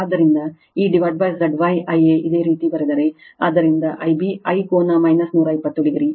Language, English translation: Kannada, So, this V p upon Z Y will be I a you put, so I b is equal to I a angle minus 120 degree